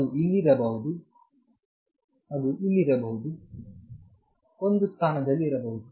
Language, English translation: Kannada, It may be here, it may be here, at one position